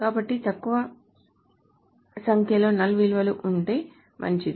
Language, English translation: Telugu, So the lesser number of null values it is the better it is